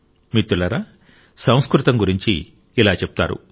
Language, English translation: Telugu, Friends, in these parts, it is said about Sanskrit